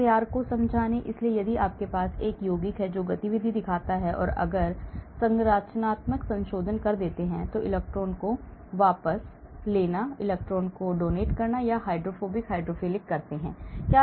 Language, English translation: Hindi, convincing SAR; so if you have a compound which shows activity then if I do structural modifications, electron withdrawing, electron donating or a hydrophobic hydrophilic